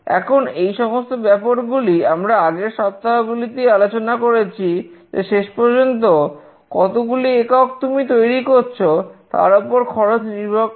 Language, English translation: Bengali, Now, all these things we have already discussed in the previous weeks that cost depends on how many number of units you are actually manufacturing